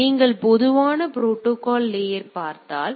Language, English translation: Tamil, So, if you look at the generic protocol stack